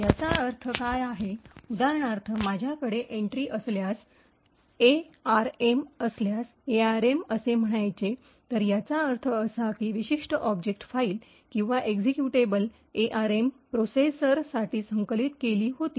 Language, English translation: Marathi, What this means, for example if I have an entry, if the entry is let us say, arm, it means that this particular object file or executable was compiled for the arm processor